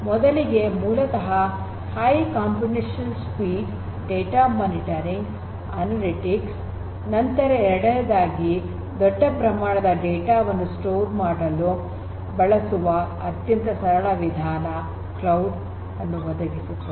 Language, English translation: Kannada, The first thing is that cloud basically gives you a platform for high computational speed, for data monitoring and analytics; second benefit is storage of large volumes of data is possible with cloud in a very simplest manner